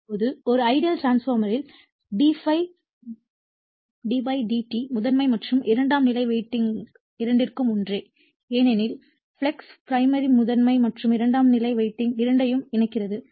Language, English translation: Tamil, Now, in an ideal transformer d∅ d psi /dt is same for both primary and secondary winding because the flux ∅ linking both primary and secondary winding